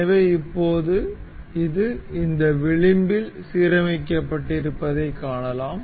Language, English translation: Tamil, So, now, we can see this is mated with aligned with this edge